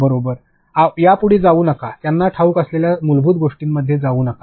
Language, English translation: Marathi, Do not go ahead of this and do not go into too much basics that they know